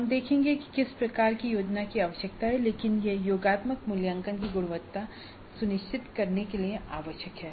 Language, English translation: Hindi, We look at what kind of planning is required but that is essential to ensure quality of the summative assessment